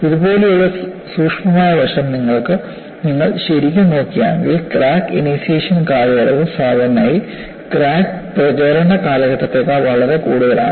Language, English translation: Malayalam, If you really look at the subtle aspect like this, you will find the crack initiation period is generally much longer than the crack propagation period